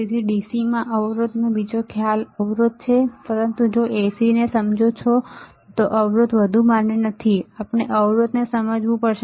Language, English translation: Gujarati, So, resistors another concept in DC is resistance right, but if you understand AC then the resistance is not any more valid and we have to understand the impedance